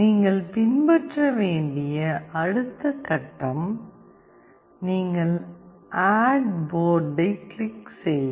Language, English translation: Tamil, The next step you have to follow is: you click on Add Board